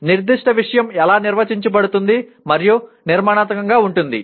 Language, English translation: Telugu, How a particular subject matter is organized and structured